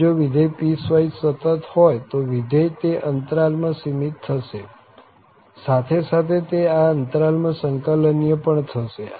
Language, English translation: Gujarati, So, if a function is piecewise continuous then the function will be bounded in that interval as well as it will be integrable in that interval